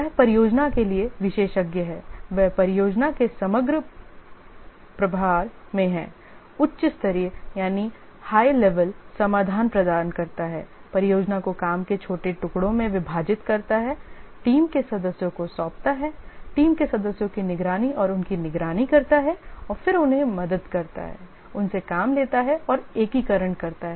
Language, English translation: Hindi, He is in overall charge of the project, provides the high level solution, divides the project into small pieces of work, assigns to the team members, helps them the team members, monitors and supervises them, and then gets the work from them and integrates